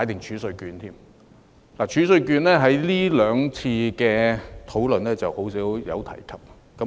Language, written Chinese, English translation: Cantonese, 儲稅券在這兩次討論中很少提及。, TRCs were seldom mentioned in the last two discussions